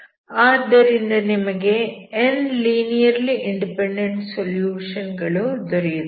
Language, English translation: Kannada, So you have n linearly independent solutions